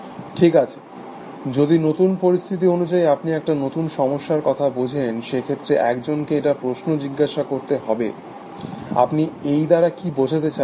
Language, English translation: Bengali, Well if by new situation, you mean a new problem, then one has to ask the question, what do you mean by that essentially